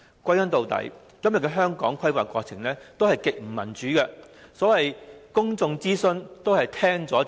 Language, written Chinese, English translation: Cantonese, 歸根究底，香港的規劃過程極不民主，所謂公眾諮詢都是聽了就算。, After all the planning process in Hong Kong is extremely undemocratic and no follow - up actions are taken after the so - called public consultation